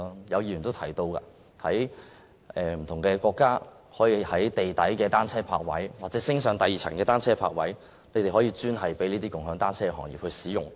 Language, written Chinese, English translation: Cantonese, 有議員亦提到，有些國家提供地下單車泊位或雙層單車泊位，專供"共享單車"行業使用。, As mentioned by some Members some countries have provided underground or double - deck bicycle parking spaces for exclusive use by the bicycle - sharing industry